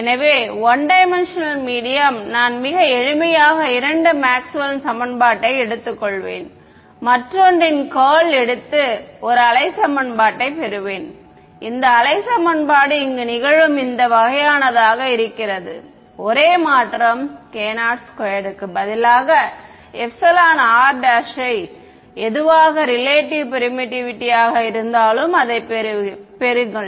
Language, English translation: Tamil, So, 1D medium so, very simply I will take the two Maxwell’s equations take curl of the other and get a wave equation and this wave equation that I get is off this kind over here the only change that happens is that instead of k naught squared I get an epsilon r prime whatever was the relative permittivity over there comes in over here ok